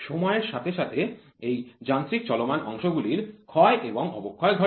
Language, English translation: Bengali, These mechanical moving parts over a period of time have wear and tear